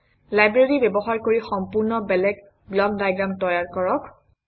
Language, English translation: Assamese, Using the library, create entirely different block diagrams